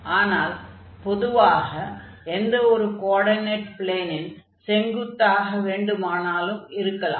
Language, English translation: Tamil, But it can be on any of the coordinate planes, the perpendicular to the coordinate planes